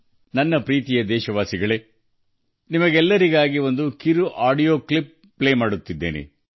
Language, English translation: Kannada, My dear countrymen, I am playing a small audio clip for all of you